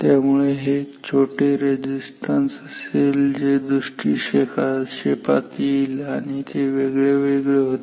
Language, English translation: Marathi, So, this small resistances which are coming in picture they were different